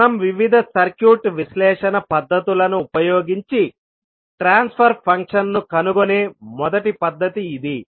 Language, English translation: Telugu, That is our first method of finding out the transfer function where we use various circuit analysis techniques